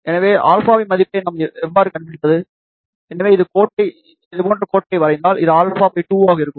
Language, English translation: Tamil, So, how we can find the value of alpha, let us say if you draw the line like this, so this will be alpha by 2